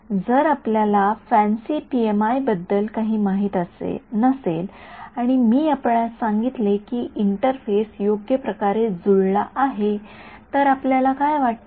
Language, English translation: Marathi, If you did not know anything about fancy PMI and I told you interface is perfectly matched what would you think